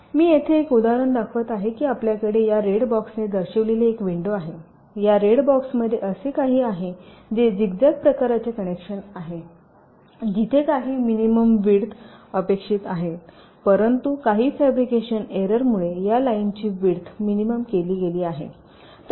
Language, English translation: Marathi, this red box has a something like this say: ah, zigzag kind of a connection where some minimum width is expected, but due to some fabrication error, the width of this line has been reduced